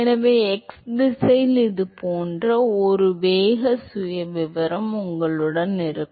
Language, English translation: Tamil, And so, you will have a velocity profile which looks like the this in the x direction